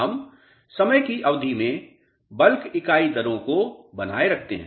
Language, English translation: Hindi, We maintain bulk unit rates constant over a period of time